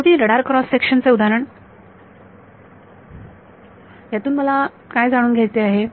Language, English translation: Marathi, The radar cross section example finally, what do I want to know